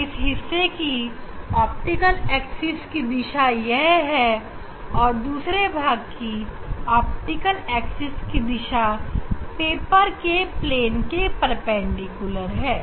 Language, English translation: Hindi, this is the direction of the optics axis for this part and for other part direction of optics axis is perpendicular to the plane of the paper